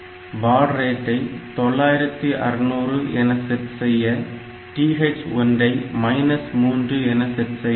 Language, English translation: Tamil, And this if you want to set a baud rate of 9600 then this TH1 should be set to minus 3